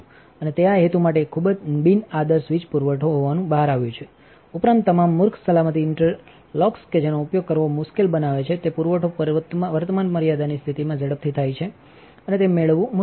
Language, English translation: Gujarati, And it turns out to be a very non ideal power supply for this purpose, besides all the stupid safety interlocks that are making it difficult to use, the supply goes into it is current limit condition kind of too quickly and it is hard to get a consistent voltage current out of it